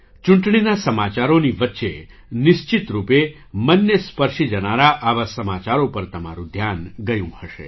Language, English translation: Gujarati, Amidst the news of the elections, you certainly would have noticed such news that touched the heart